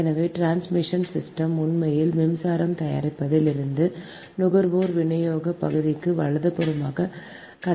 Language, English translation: Tamil, so transmission system actually transmits power from the generating to the consumer distribution side